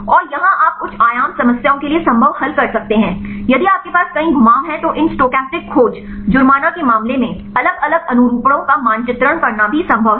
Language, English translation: Hindi, And here you can solve the feasible for higher dimension problems, if you have several rotations then also possible right to map different conformations in the case of these stochastic search fine